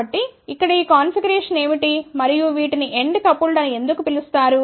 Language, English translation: Telugu, So, what is this configuration here and why these are known as end coupled